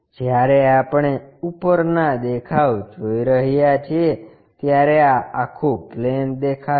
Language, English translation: Gujarati, When we are looking from top view this entire plane will be visible